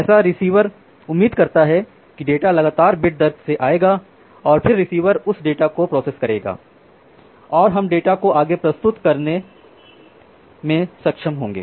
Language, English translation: Hindi, So, the receiver expects that the data will be coming at a constant bit rate and then the receiver will process that data and we will be able to render the data further